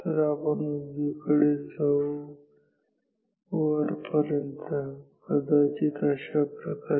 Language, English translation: Marathi, So, we will go towards the right and up here